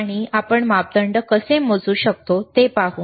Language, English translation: Marathi, And we will we will see how we can measure the parameters